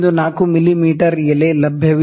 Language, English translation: Kannada, 5 mm is not acceptable